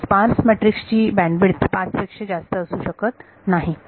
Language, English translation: Marathi, So, the spareness of this matrix the bandwidth of this sparse matrix cannot exceed 5